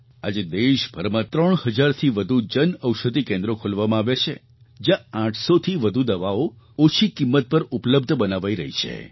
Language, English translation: Gujarati, Presently, more than three thousand Jan Aushadhi Kendras have been opened across the country and more than eight hundred medicines are being made available there at an affordable price